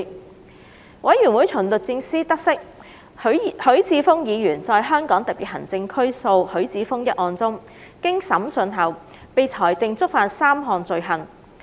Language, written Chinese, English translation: Cantonese, 調查委員會從律政司得悉，許智峯議員在香港特別行政區訴許智峯一案中，經審訊後被裁定觸犯3項罪行。, The Investigation Committee learnt from DoJ that Mr HUI Chi - fung was convicted of three offences in the case of Hong Kong Special Administrative Region v HUI Chi - fung after trial